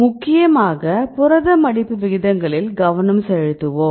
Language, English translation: Tamil, So, we mainly focus on protein folding rates right